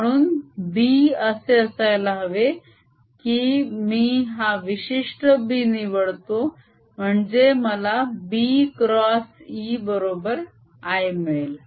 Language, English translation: Marathi, so b has to be such that i would choose this particular b so that b cross e gives me i